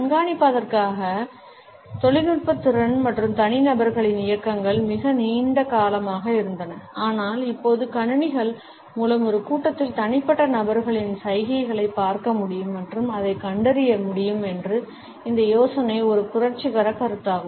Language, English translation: Tamil, The technological capability to track and individuals movements had been there for a very long time now, but this idea that computers can look at the individual people gestures in a crowd and can make detections on it is basis is a revolutionary concept